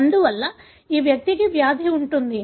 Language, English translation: Telugu, Therefore, this individual would have the disease